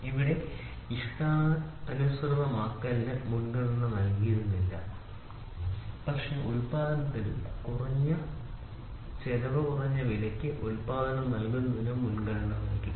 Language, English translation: Malayalam, So, here customization was not given a priority, but production and giving the product at an economical price was the priority